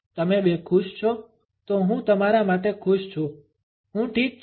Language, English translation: Gujarati, You two are happy then I am happy for you I am fine